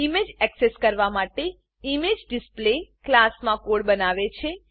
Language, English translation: Gujarati, It generates the code in the imagedisplay class to access the image